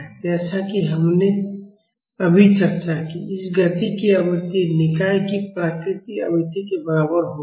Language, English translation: Hindi, And as we have just discussed, the frequency of this motion will be equal to the natural frequency of the system